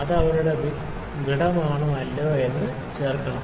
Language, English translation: Malayalam, So, does it insert is their gap or not